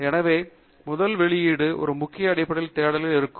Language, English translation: Tamil, So, first demonstration will be on a Keyword based search